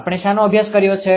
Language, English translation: Gujarati, What we have studied